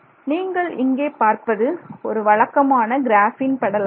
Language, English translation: Tamil, So, what you see here is a typical graphene layer